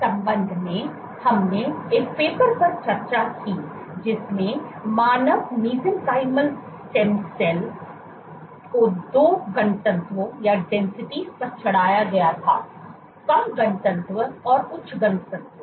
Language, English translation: Hindi, In this regard we discussed a paper where human Mesenchymal Stem Cells were plated at 2 densities; you have low density and high density